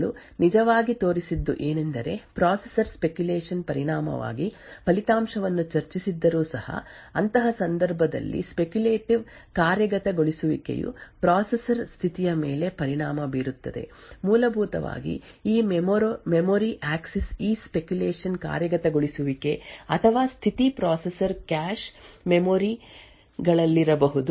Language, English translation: Kannada, Now what these new attacks actually showed was that even though the processor discussed the result due to speculation in such a case the speculative execution has an effect on the state of the processor, essentially due to this speculative execution of this memory axis or the state of the processor may be in the cache memories or the branch predictors or so on may be modified corresponding to the data which gets accessed